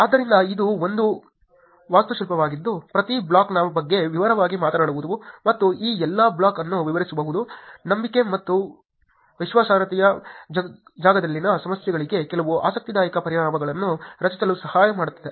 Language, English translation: Kannada, So, this is an architecture that I tell in detail talking about each block and explaining all this block helps in creating some interesting solutions for the problems in the trust and credibility space